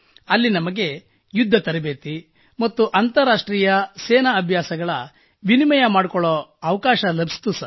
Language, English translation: Kannada, Here we learnt an exchange on combat lessons & International Military exercises